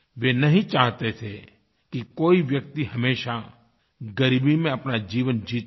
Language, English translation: Hindi, He did not want anybody to languish in poverty forever